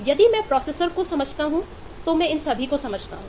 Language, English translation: Hindi, so if I understand processor, then I understand all of these